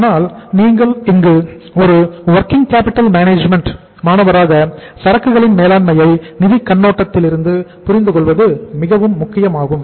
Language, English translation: Tamil, But here as a student of working capital management it is very important for us to understand the inventory management from the financial perspective